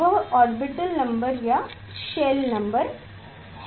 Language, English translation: Hindi, that is the orbit number or shell number